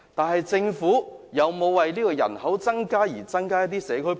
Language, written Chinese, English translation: Cantonese, 可是，政府有否為這些新增人口增加社區配套？, But has the Government provided community facilities for the additional population?